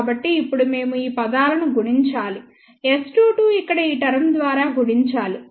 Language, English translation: Telugu, So, now, we have to multiply these terms so, S 2 2 multiplied by this term here